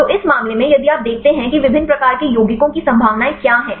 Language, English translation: Hindi, So, in this case; if you see what are the possibilities of different types of compounds